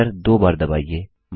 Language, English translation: Hindi, Press enter twice